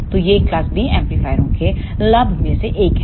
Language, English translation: Hindi, So, this is one of the advantage of class B amplifiers